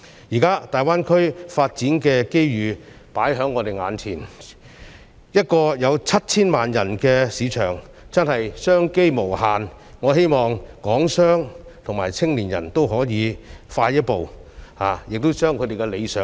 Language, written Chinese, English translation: Cantonese, 現在，大灣區發展的機遇放在我們眼前，一個有 7,000 萬人的市場真的是商機無限，我希望港商和青年人都可以走快一步，盡快達到他們的理想。, Now opportunities arising from the Greater Bay Area development are presented in front of us . As a market with a population of 70 million it really offers unlimited business opportunities . I hope Hong Kong businessmen and young people will quicken their steps and achieve what they desire